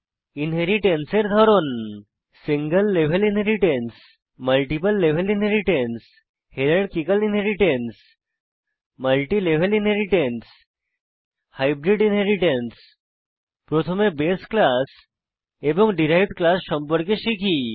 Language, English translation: Bengali, Types of Inheritance Single level inheritance Multiple level inheritance Hierarchical Inheritance Multilevel inheritance Hybrid Inheritance First let us know about the base class and the derived class